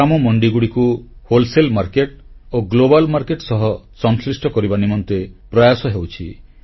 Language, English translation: Odia, Efforts are on to connect local village mandis to wholesale market and then on with the global market